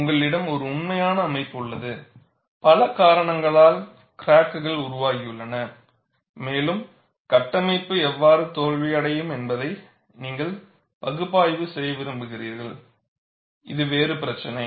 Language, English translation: Tamil, You have a actual structure, because of several reasons, cracks are developed and you want to analyze how the structure is going to fail, that is a different issue